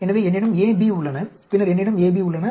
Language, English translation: Tamil, So, I have A, B, then I have AB